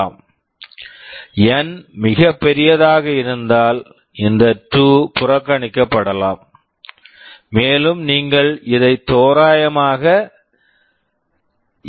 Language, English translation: Tamil, If N is very large, then this 2 can be neglected, and you can approximate it to NT/3